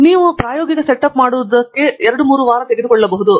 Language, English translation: Kannada, So, just making a small experimental setup may take you like 2 3 weeks